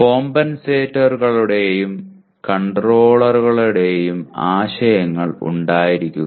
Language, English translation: Malayalam, Have the concepts of compensators and controllers